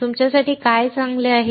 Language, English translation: Marathi, What is good for you